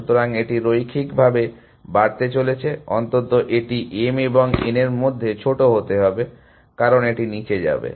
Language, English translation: Bengali, So, it is going to grow linearly, at least it will be the smaller of m and n, as it goes down